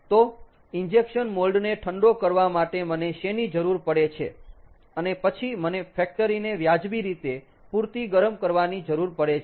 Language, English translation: Gujarati, we need to cool the injection mold and then we need to heat up the factory